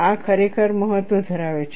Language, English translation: Gujarati, This really matters